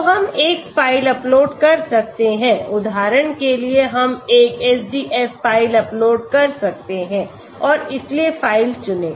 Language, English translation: Hindi, So we can upload a file for example we can upload a SDF file and so choose file